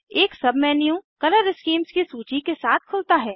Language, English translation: Hindi, A submenu opens with a list of Color schemes